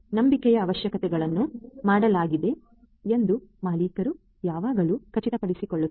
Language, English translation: Kannada, The owner always ensures that the requirements of trust are made